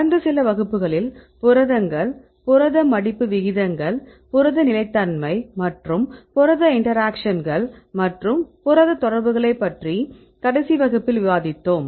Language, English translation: Tamil, In last few classes we discussed about the proteins, protein folding rates, protein stability and protein interactions, and specific in the last class discussed about the protein interactions right what a different types of complexes